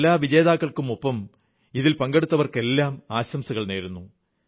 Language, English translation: Malayalam, I along with all the winners, congratulate all the participants